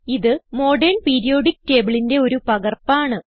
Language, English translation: Malayalam, This table is a replica of Modern Periodic table